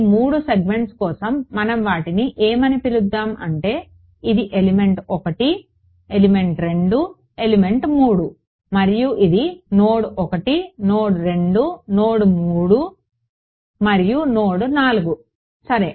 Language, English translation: Telugu, For these 3 segments let us so what are what will call them is this is element 1, element 2, element 3 and this is node 1, node 2, node 3 and node 4 ok